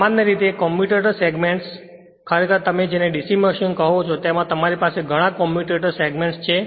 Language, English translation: Gujarati, Generally that commutator actually in a your what you call in a DC machine you have several commutator segments right